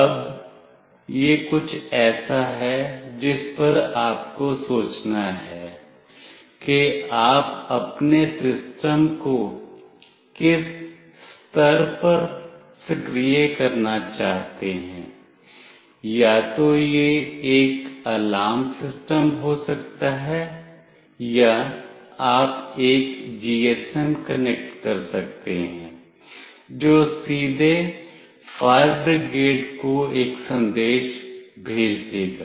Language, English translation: Hindi, Now, this is something you have to think upon like at what level you want your system to get activated, either it can be an alarm system or you can connect a GSM that will directly send a message to fire brigade